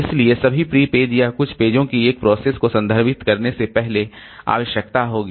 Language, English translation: Hindi, So, pre page all or some of the pages of a process will need before they are referenced